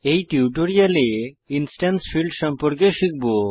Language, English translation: Bengali, So in this tutorial, we learnt About instance fields